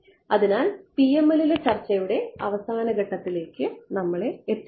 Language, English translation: Malayalam, So, that brings us to an end of the discussion on PML